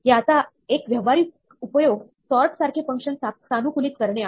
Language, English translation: Marathi, One practical use of this is to customize functions such as sort